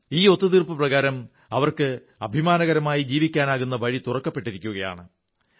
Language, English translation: Malayalam, As per the agreement, the path to a dignified life has been opened for them